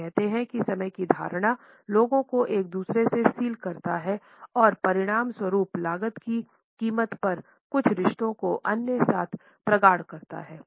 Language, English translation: Hindi, He says that this perception of time seals people from one another and as a result intensifies some relationships at the cost of others